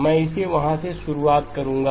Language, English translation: Hindi, I will pick it up from there